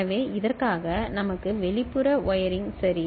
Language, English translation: Tamil, So, for this we need external wiring ok